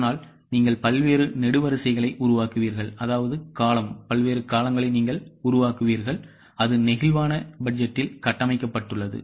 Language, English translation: Tamil, So, you will make various possible columns and that is how the flexible budget is structured